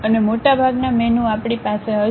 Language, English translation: Gujarati, And most of the menu we will be having here